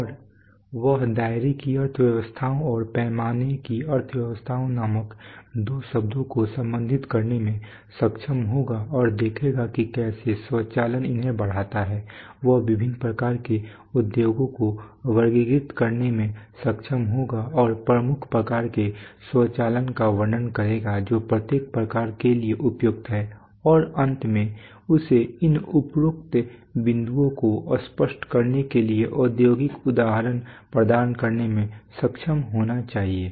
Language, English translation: Hindi, And he will be able to relate two terms called economies of scope and economies of scale and see how automation enhances these, he will be able to categorize different types of industries and describe the major types of automation which are suitable for each kind and finally he will, be he should be able to provide industrial examples to illustrate these above points